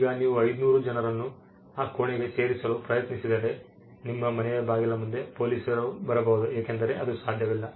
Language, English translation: Kannada, Now, if you try to put the 500 people into that room they could be police at your doorsteps because that is simply not possible